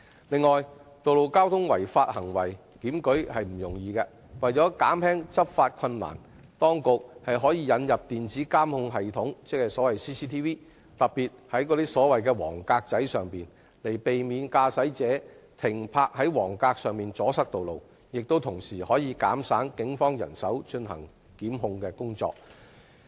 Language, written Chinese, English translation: Cantonese, 此外，道路交通違法行為檢舉不易，為了解決執法困難，當局可引入電子監控系統，特別是設置在黃格位置，避免駕駛者在黃格停泊而阻塞道路，同時也可減省警方的檢控人手和工作。, Furthermore it is not easy to take enforcement action against road traffic offences . In order to overcome such difficulties the Administration may introduce the installation of closed - circuit television systems particularly at road junctions with yellow box markings to prevent motorists parking on yellow box markings from blocking roads while saving the Polices prosecution manpower and efforts